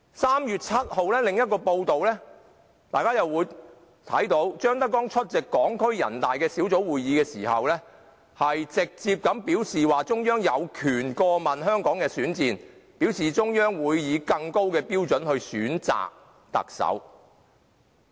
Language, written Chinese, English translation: Cantonese, 3月7日的另一份報道，張德江出席香港特別行政區全國人民代表大會代表小組會議的時候，直接表示中央有權過問香港特首選戰，而中央會以更高標準選擇特首。, On 7 March another newspaper reported that when ZHANG Dejiang attended a committee meeting of the deputies of the Hong Kong Special Administrative Region to the National Peoples Congress he said directly that the Central Authorities had the right to be concerned with the election of the Chief Executive of Hong Kong and the Central Authorities would impose a higher standard on the election of the Chief Executive